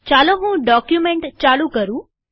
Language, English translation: Gujarati, Let me begin the document